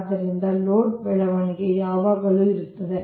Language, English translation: Kannada, so load growth is always there